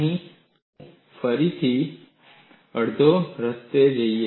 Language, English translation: Gujarati, Here again, I will go half way